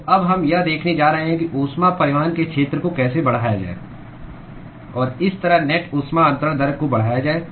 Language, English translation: Hindi, So, now, what we are going to see is how to increase the area of heat transport and thereby increase the net heat transfer rate